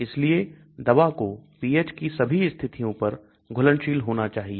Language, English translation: Hindi, So the drug has to be soluble at all these pH conditions